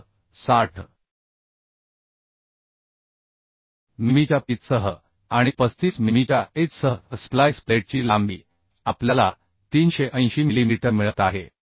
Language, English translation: Marathi, So with the pitch of 60 mm and edge of 35 mm the length of splice plate we are getting 380 mm